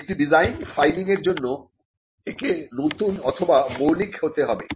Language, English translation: Bengali, The requirements for filing a design is that it has to be new or original